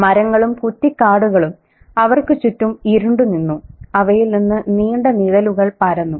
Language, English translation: Malayalam, The trees and bushes around them stood inky and sepulchral, spilling long shadows across them